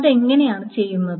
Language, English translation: Malayalam, Now, how is that being done